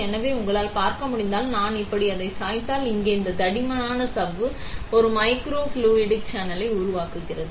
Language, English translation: Tamil, So, if you can see, if I tilt it like this, this thick membrane here forms a microfluidic channel